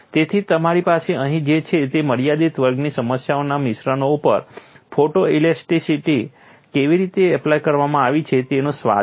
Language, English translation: Gujarati, So, what you have here is a flavor of how photo elasticity has been applied to composites for a restricted class of problem